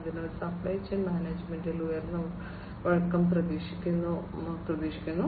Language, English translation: Malayalam, Next comes supply chain management and optimization